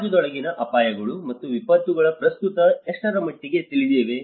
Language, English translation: Kannada, To what extent are hazards, risks, and disasters within society currently well known